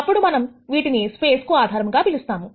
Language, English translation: Telugu, Then we call them as a basis for the space